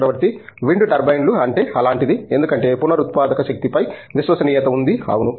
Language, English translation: Telugu, Wind turbines is something that like, is also because trust is on renewable energy, yeah